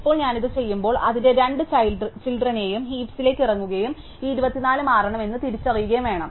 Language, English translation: Malayalam, So, now, when I do this, I need to go down to its two children in the heap and recognize that this 24 must change